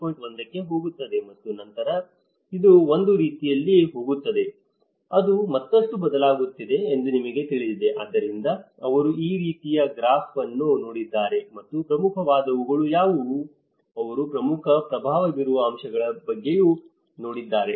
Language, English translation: Kannada, 1 and then this is how it is going in a kind of, it is changing further you know, so that is where they looked at this kind of graph and also what are the major, they also looked at what are the major influencing aspects